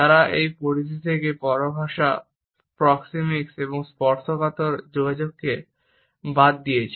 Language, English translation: Bengali, They have excluded paralanguage, proxemics and tactile communication from this purview